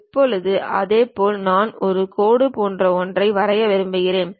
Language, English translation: Tamil, Now, similarly I would like to draw something like a Line